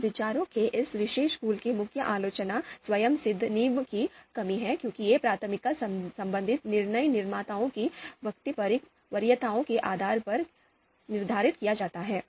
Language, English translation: Hindi, Now the main criticism of this particular school of thought is there are lack of axiomatic foundations because these preference relations are determined based on the DM’s preferences, DM’s subjective preferences